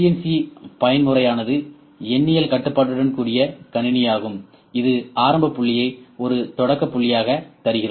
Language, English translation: Tamil, CNC mode is computer with numerical controlled, we just give the initial point over this is a starting point